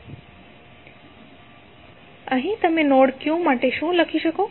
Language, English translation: Gujarati, So, here what you can say for node Q